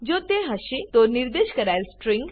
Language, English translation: Gujarati, If it is, it will print out the specified string